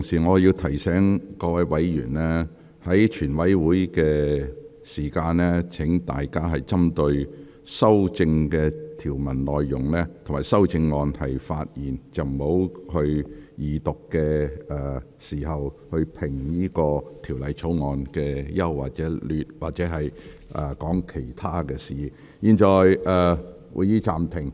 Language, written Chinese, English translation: Cantonese, 我提醒各位委員，在全體委員會審議階段，請大家針對《條例草案》各項條文及修正案發言，不要如二讀辯論般評論《條例草案》的整體優劣，或論述其他事宜。, I would like to remind Members to target their speeches at various provisions in the Bill and their amendments during the Committee stage . Please do not comment on the general merits of the Bill as if we were in the Second Reading or on some other issues